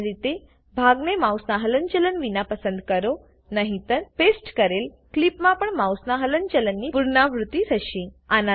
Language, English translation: Gujarati, Ideally choose a portion without mouse movement otherwise there will be a repetition of the mouse movement in the pasted clip as well